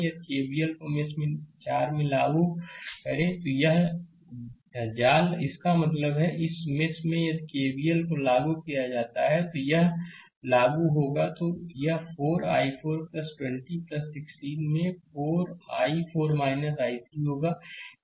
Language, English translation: Hindi, If you apply KVL in mesh 4 in this mesh; that means, in this mesh if you apply KVL in this mesh if you apply, it will be 4 i 4 plus 20 right plus 16 into i 4 minus i 3